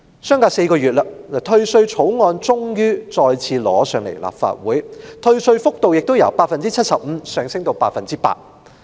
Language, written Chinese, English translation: Cantonese, 相隔4個月，退稅草案終於再次被提交到立法會，而退稅幅度亦由 75% 上升至 100%。, The bill on tax rebate is finally presented to the Legislative Council once again after four months and the percentage of tax rebate has been raised from 75 % to 100 %